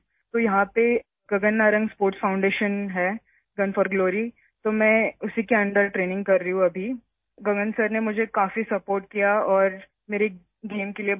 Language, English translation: Urdu, So there's Gagan Narang Sports Foundation, Gun for Glory… I am training under it now… Gagan sir has supported me a lot and encouraged me for my game